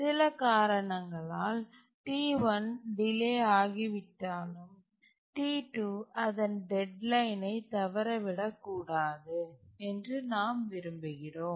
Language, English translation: Tamil, So, we want that even if T1 gets delayed due to some reason, T2 should not miss its deadline